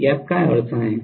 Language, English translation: Marathi, What is the problem with this